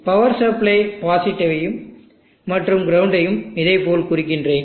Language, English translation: Tamil, Let me mark the power supply positive and the ground point like this